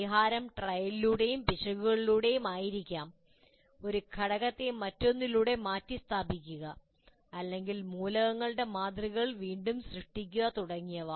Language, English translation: Malayalam, The solution may be by trial and error or replacement of one component by another or I completely re what you call create my models of the elements and so on